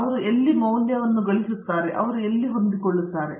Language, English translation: Kannada, Where do they see value in, where do they fit in